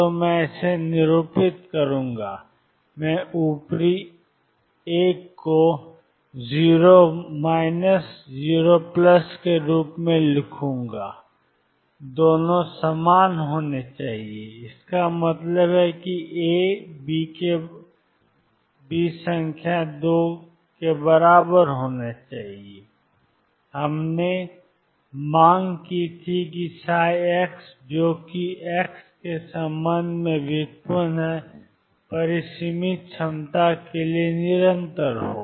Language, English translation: Hindi, So, I will denote that; I will write the upper 1 as 0 minus 0 plus and the 2 should be the same and this implies A equals B number 2, we had demanded that psi prime x that is the derivative of psi with respect to x be continuous for finite potentials